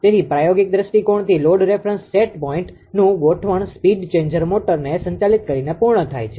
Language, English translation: Gujarati, So, from the practical point of view the adjustment of load different set point is accomplished by operating the speed changer motor